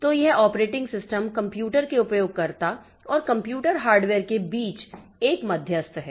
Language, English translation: Hindi, So, this operating system is an intermediary between a user of a computer and the computer hardware